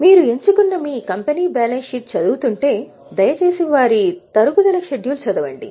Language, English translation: Telugu, If you are reading the balance sheet of your company which you have chosen, please read their depreciation schedule